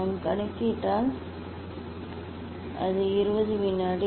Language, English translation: Tamil, if we calculate it is the 20 second